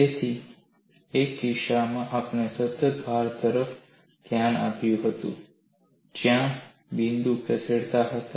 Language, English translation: Gujarati, So, in one case we had looked at constant load, where the points were moving